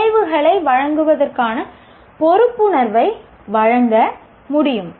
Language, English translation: Tamil, The outcomes can provide accountability